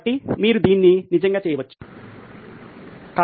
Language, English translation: Telugu, So, you can actually do this, work on this